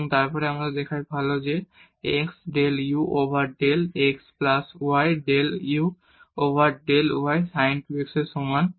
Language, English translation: Bengali, And, then we show that x del u over del x plus y del u over del y is equal to sin 2 x